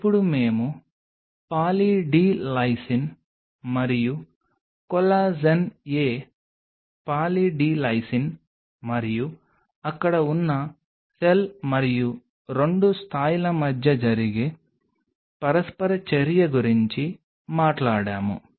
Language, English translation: Telugu, Now we talked about the interaction which is possibly happening between Poly D Lysine and collagen a Poly D Lysine and the cell which are present there and there are 2 level